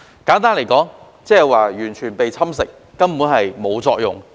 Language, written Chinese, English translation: Cantonese, 簡單來說，就是完全被侵蝕，根本毫無作用。, Simply put the subject has been completely corroded and rendered useless